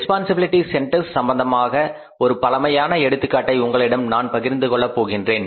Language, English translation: Tamil, I would share a very classical example with regard to the responsibility centers